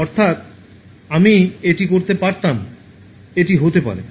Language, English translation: Bengali, ’ meaning: I could have done this, it might have been